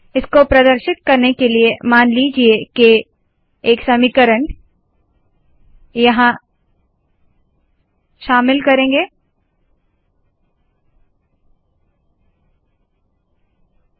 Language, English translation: Hindi, To demonstrate this, let us suppose, we include an equation here